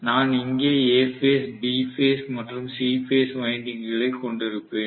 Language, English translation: Tamil, And I am going to have the A phase, B phase and C phase windings sitting here